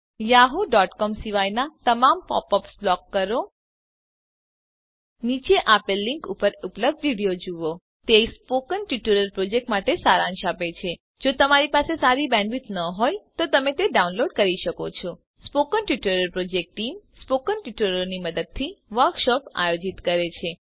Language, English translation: Gujarati, * Block all pop ups, except those from yahoo.com * Watch the video available at the following link * It summarises the Spoken Tutorial project *If you do not have good bandwidth, you can download and watch it The Spoken Tutorial Project Team * Conducts workshops using spoken tutorials